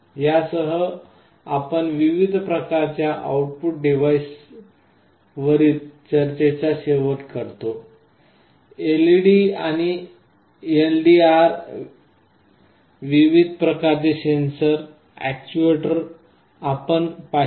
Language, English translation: Marathi, With this we come to the end of our discussion on various kinds of output devices like LEDs and LDRs, various kind of sensors and actuators